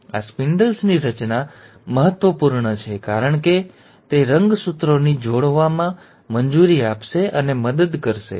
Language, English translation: Gujarati, And these spindle formation is important because it will allow and help the chromosomes to attach